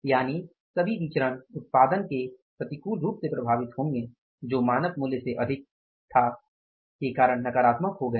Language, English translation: Hindi, So it means all the variance have become negative because of the output getting negatively affected which was more than the standard value